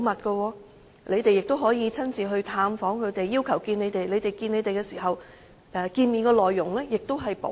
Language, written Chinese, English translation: Cantonese, 況且，議員亦可以親自探訪、要求見面，見面內容也會保密。, Besides Members can also visit prisons in person and request an interview with them and the meeting will also be kept confidential